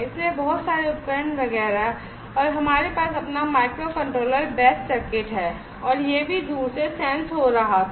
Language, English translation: Hindi, So, much equipment etcetera, everything was by passed and we have our own micro controller best circuitry and this was also remotely sensed